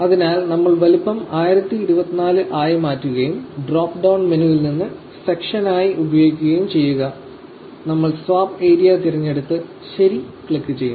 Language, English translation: Malayalam, So, we will change the size to be 1024 and from the drop down menu in the use as section we will select the swap area and click OK